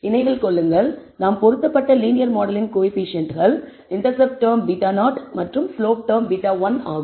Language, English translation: Tamil, Remember, that the coefficients of the linear model that we are fitted which is the intercept term beta naught and the slope term beta one